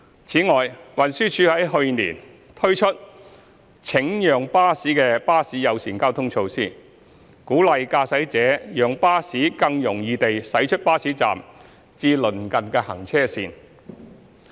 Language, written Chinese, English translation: Cantonese, 此外，運輸署於去年推出"請讓巴士"的巴士友善交通措施，鼓勵駕駛者讓巴士更容易地駛出巴士站至鄰近行車線。, Moreover last year TD introduced the bus - friendly traffic measure Give way to bus to encourage motorists to let buses exit more easily from bus bays to adjacent traffic lanes